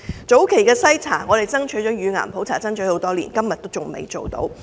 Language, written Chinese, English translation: Cantonese, 早期篩查方面，我們爭取乳癌普查多年，至今仍未做到。, Regarding early screening we have been urging for breast cancer screening for years but to date there is still not any